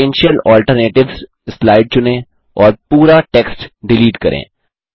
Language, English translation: Hindi, Select the slide Potential Alternatives and delete all text